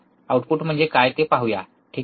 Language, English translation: Marathi, What is output let us see, alright